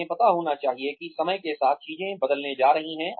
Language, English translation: Hindi, They should know that, things are going to change with time